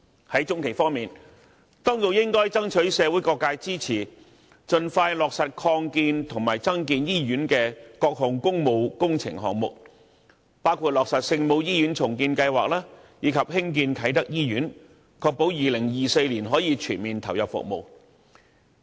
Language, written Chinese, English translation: Cantonese, 在中期方面，當局應該爭取社會各界支持，盡快落實擴建和增建醫院的各項工務工程項目，包括落實聖母醫院重建計劃，以及興建啟德醫院，確保2024年可全面投入服務。, In the medium term the Administration should seek public support for the implementation of various public works projects of hospital expansion including the redevelopment of the Our Lady of Maryknoll Hospital and the hospital construction in Kai Tak so as to ensure its full commissioning in 2024